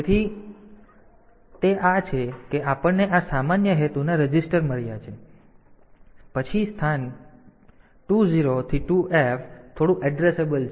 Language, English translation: Gujarati, So, that is we have got this general purpose registers then the location 20 to 2F they are they are bit addressable